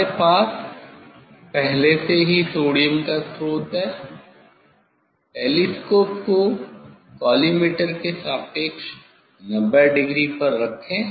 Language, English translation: Hindi, already we have sodium source Place the telescope at 90 degree with respect to the collimator